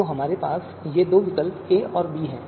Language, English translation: Hindi, So we have these two alternatives a and b